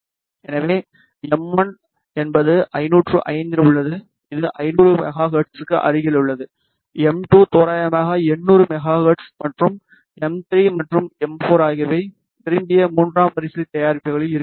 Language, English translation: Tamil, So, m 1 is at 505 which is close to 500 megahertz, m 2 is at 800 megahertz approximately and m 3 and m 4 should be at the desired third order products